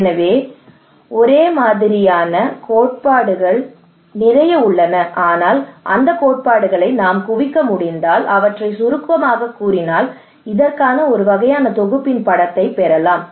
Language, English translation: Tamil, So there are a lot of theories on that, but if we can accumulate those theories summarise them we can actually get a picture of a kind of synthesis of this one